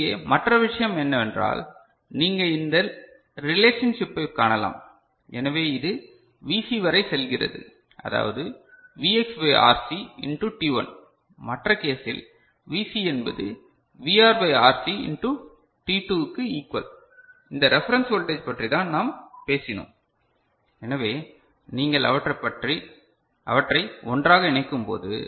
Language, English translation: Tamil, And the other thing over here, you can see the relationship so this is it is going up to Vc is Vx by RC into t1 and for the other case Vc is equal to VR by RC into t2, this is reference voltage we are talking about right